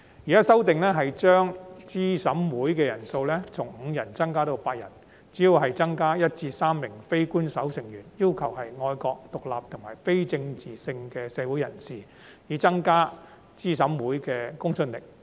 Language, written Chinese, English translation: Cantonese, 現時的修正案提出將資審會人數上限從5人增加至8人，主要是增加1名至3名非官守成員，要求是愛國、獨立和非政治性的社會人士，以增加資審會的公信力。, The amendments under discussion proposed to increase the upper limit of members in CERC from five to eight by adding one to three non - official members who must be patriotic independent and apolitical individuals with a view to further enhancing the credibility of CERC